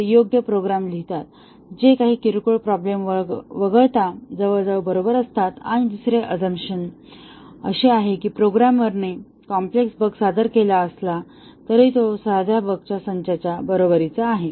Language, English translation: Marathi, They write the right programs which are almost correct except in for some minor problems and the second assumption is that even if a programmer introduced a complex bug that is equivalent to a set of simple bugs